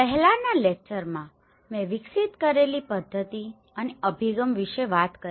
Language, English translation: Gujarati, In the previous lecture, we talked about the method and approach which I have developed